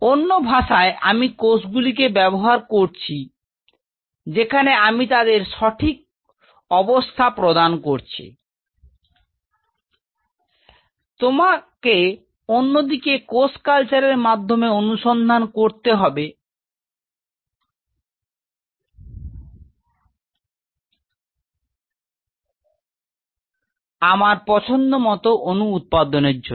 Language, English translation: Bengali, So, in other word I am using cells giving them the right set of conditions of course, you one has to study through cell culture, to produce by molecules of my choice